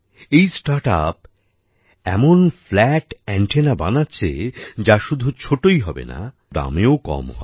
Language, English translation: Bengali, This startup is making such flat antennas which will not only be small, but their cost will also be very low